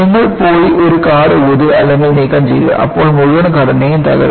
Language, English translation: Malayalam, You just go and blow or remove one card, the whole structure will collapse